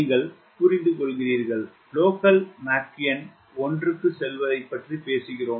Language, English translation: Tamil, you understand the moment we talk about local mach number going to one